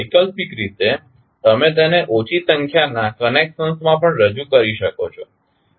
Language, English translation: Gujarati, Alternatively, you can also represent it in less number of connections